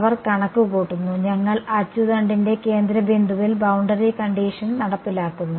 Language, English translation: Malayalam, They calculating; we are enforcing the boundary conditional along the centre point of the axis